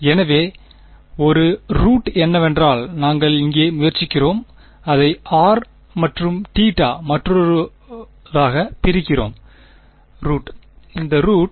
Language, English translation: Tamil, So, one root was what we were trying over here, splitting it into r n theta, another root is this root